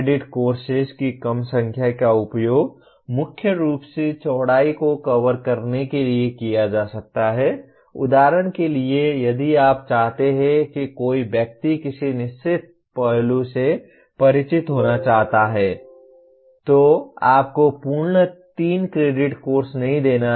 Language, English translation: Hindi, The smaller number of credit courses can be mainly used to cover the breadth of the, for example if you want someone to be want to be familiar with certain aspect you do not have to give a full fledged 3 credit course